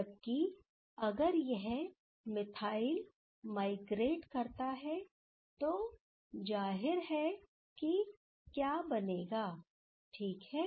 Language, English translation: Hindi, Whereas, if this methyl that can migrate, then obviously what will form ok